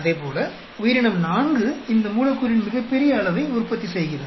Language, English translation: Tamil, And similarly, organism four seems to be producing largest amount of this molecule